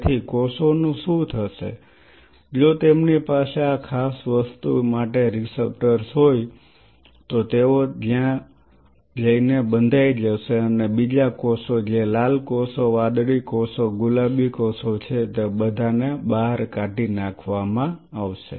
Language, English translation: Gujarati, So, what will happen the cells if they are having the receptors for this particular thing they will go and bind and other cells which are the red cells blue cells pink cells they all will be moved out because they do not have an attaching antibody to it right